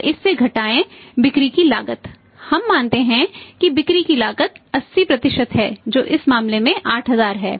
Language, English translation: Hindi, Now subtract from this cost of sales we assume that the cost of sales is 80% say in this case is 8000